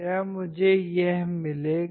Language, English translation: Hindi, Would I get this